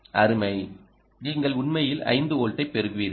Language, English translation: Tamil, bingo, you will actually get five volts here